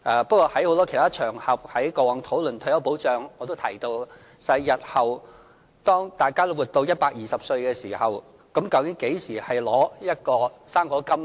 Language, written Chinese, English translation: Cantonese, 不過，在很多其他討論退休保障的場合上，我也提到日後當大家都活到120歲的時候，究竟應何時領取"生果金"呢？, As a result the eligibility age remains 70 . Actually I asked this question on many other occasions when retirement protection was discussed When should elderly people receive the fruit grant when we can all expect to live until the age of 120?